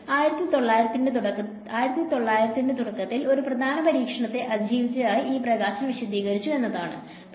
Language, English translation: Malayalam, It explains light it survived one major test what happened in the early part of 1900